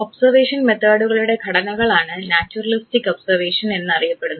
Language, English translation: Malayalam, Now, formats of observation method are what is called as naturalistic observation